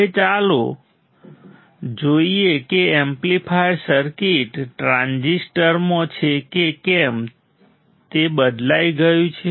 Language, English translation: Gujarati, Now, let us see let us see further if the amplifier circuit is in transistor is replaced